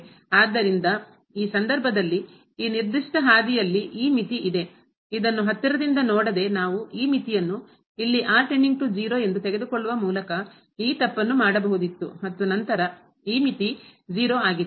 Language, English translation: Kannada, So, this is the limit in this case, along this particular path while by not closely looking at this here we could have done this mistake by putting taking this limit here as goes to 0 and then this limit is 0